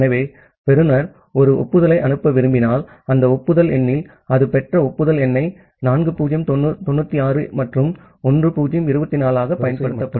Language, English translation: Tamil, So, if the receiver wants to send an acknowledgement, in that acknowledgement number it will use the acknowledgement number as 4096 plus 1024 that it has received